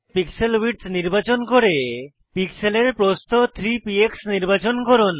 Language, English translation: Bengali, Select Pixel width and click on the pixel width 3 px